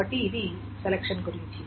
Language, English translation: Telugu, So that is about this selection